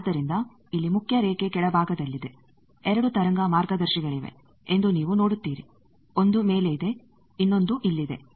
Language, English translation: Kannada, So, there is a main line here the lower; you see there are 2 wave guides one is top another is here